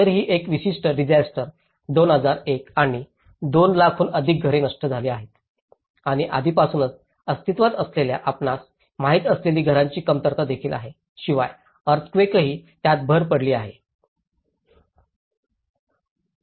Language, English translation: Marathi, So this particular disaster 2001 and this has been destroying more than 200,000 houses and already there is also vulnerable component of existing housing shortage you know, plus the earthquake the disaster adds on to it